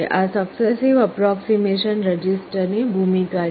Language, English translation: Gujarati, This is the role of the successive approximation register